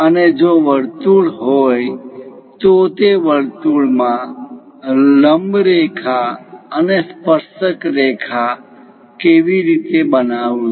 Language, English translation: Gujarati, And if there is a circle how to construct normal lines and tangent lines to the circle